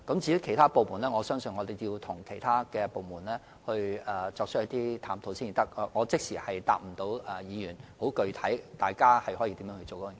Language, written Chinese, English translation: Cantonese, 至於其他部門，我相信要與其他部門一起探討才知道，所以無法即時回答議員如何處理有關工作的具體安排。, As for other areas I think we will have to find out in collaboration with other departments and it is thus impossible for me to immediately provide Members with information about the specific arrangements